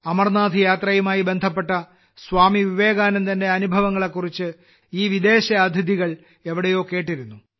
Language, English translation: Malayalam, These foreign guests had heard somewhere about the experiences of Swami Vivekananda related to the Amarnath Yatra